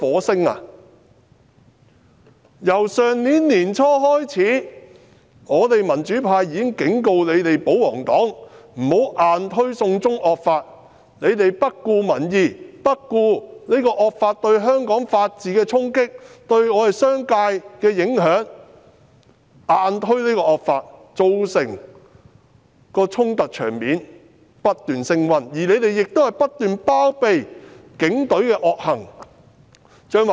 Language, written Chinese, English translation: Cantonese, 自去年年初開始，我們民主派已經警告保皇黨不要硬推"送中惡法"，他們卻不顧民意、不顧惡法對香港法治的衝擊、對商界的影響硬推這惡法，造成衝突場面不斷升溫，更不斷包庇警隊的惡行。, Since early last year we in the pro - democracy camp already warned the royalist camp against forcing through the evil China extradition bill . They however ignored the public views and neglected the impact of this draconian law on the rule of law in Hong Kong and on the business sector insisting on forcing through this evil law . As a result clashes and confrontations escalated and they even kept on shielding the Polices villainy